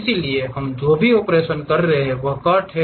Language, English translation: Hindi, So, whatever the operations we are making this is the cut